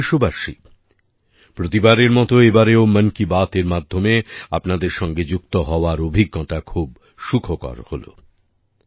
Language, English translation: Bengali, My dear countrymen, as always, this time also it was a very pleasant experience to connect with all of you through 'Mann Ki Baat'